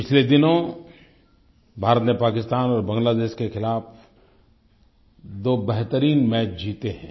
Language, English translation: Hindi, Some days ago India won two fine matches against Pakistan and Bangladesh